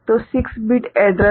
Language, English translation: Hindi, So, 6 bit address